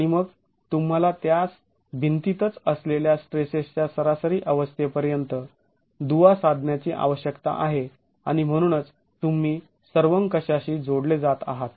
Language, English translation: Marathi, And then you need to have to link it up to average state of stresses in the wall itself and that's where you are linking it up to the global